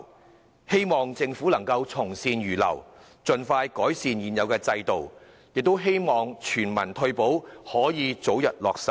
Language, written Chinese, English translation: Cantonese, 我希望政府能從善如流，盡快改善現有制度，並希望全民退保得以早日落實。, I hope that the Government can heed peoples advice and improve the existing system quickly . I also hope that universal retirement protection can be implemented as early as possible